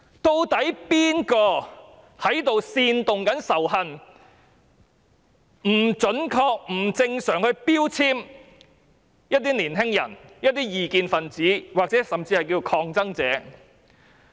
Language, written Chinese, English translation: Cantonese, 究竟是誰在煽動仇恨，不準確、不正常地標籤一些年輕人、異見分子甚至是抗爭者？, Who is inciting hatred by inaccurately and irrationally labelling some young people dissidents or even protesters?